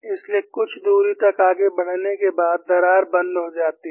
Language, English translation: Hindi, So, after proceeding for some distance, the crack would stop